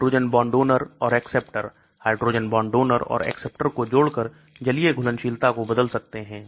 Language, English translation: Hindi, Hydrogen bond donors and acceptors, by adding hydrogen bond donors and acceptors we can change the aqueous solubility